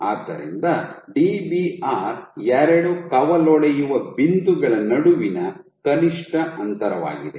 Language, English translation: Kannada, So, Dbr is the minimum distance between two branching points